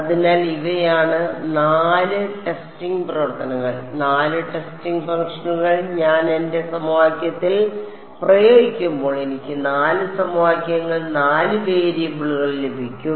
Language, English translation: Malayalam, So, these are the 4 testing functions; 4 testing functions when I apply to my equation I will get 4 equations 4 variables ok